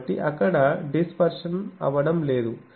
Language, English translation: Telugu, So, there is no dispersion there